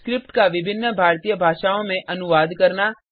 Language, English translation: Hindi, To translate the script into various Indian Languages